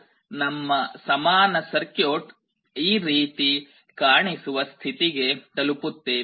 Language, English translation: Kannada, So, we come to a point when our equivalent circuit looks like this